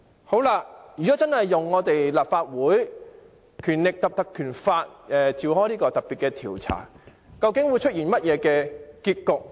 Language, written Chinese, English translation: Cantonese, 好了，如果真的引用《立法會條例》展開特別調查，究竟會出現甚麼結局？, Okay if we really invoke the Legislative Council Ordinance to investigate the matter what outcome should we get?